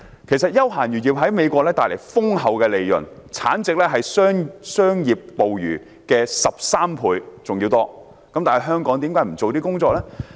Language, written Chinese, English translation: Cantonese, 其實，休閒漁業在美國帶來豐厚利潤，產值是商業捕魚的13倍多，但為何香港不做此方面的工夫？, In fact recreational fishing activities have brought rich profits in the United States and the value of output is at least 13 times more than that of commercial fishing . Why does Hong Kong not put some efforts in this aspect?